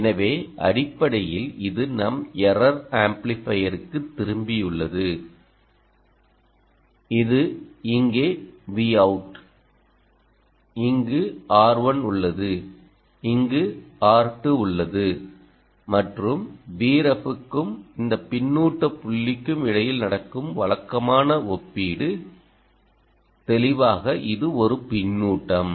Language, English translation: Tamil, so essentially, this is back to our error amplifier, which is v out here you have r one, you have r two and usual comparison that happens between v ref and this feedback point which comes